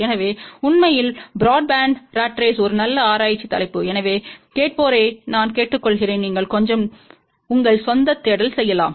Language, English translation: Tamil, So in fact, broadband ratrace is a very good research topic so, I urge the listeners, you can do little bit of your own search